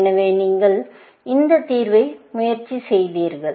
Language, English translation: Tamil, So, you tried this solution